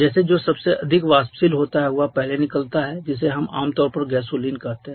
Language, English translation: Hindi, Like the one which is the most volatile one that comes out first which we commonly called the gasoline